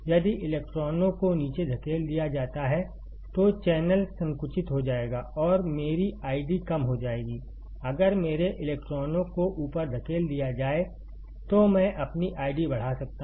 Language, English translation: Hindi, If electrons are pushed down, the channel will be narrowed and my I D will be decreasing, if my electrons are pushed up I can see my I D increasing